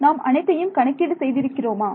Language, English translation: Tamil, Have we calculated everything